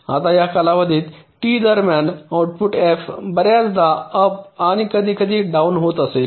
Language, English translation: Marathi, right now, within this time period t, the output f may be going up and going down several times